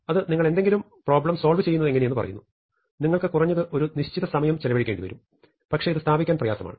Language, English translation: Malayalam, Because it tells us no matter how you do something, you will have to spend at least that much time, but this hard to establish